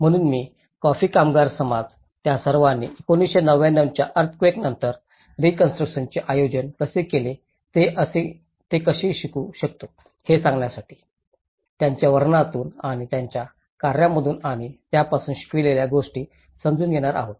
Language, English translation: Marathi, So, I am going to take the learnings and understandings from his narratives and from his work and so, that we can learn how the coffee workers society, how they all have organized the reconstruction after the earthquake of 1999